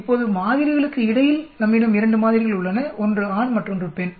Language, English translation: Tamil, Now between samples we have 2 samples,one is the male other is the female